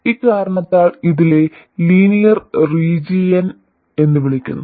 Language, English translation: Malayalam, So, for this reason this is called the linear region